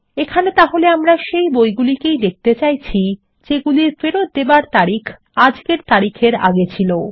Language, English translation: Bengali, We are retrieving books for which the Return Date is past todays date